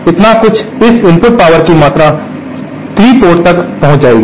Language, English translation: Hindi, So, some amount of this input power will reach port 3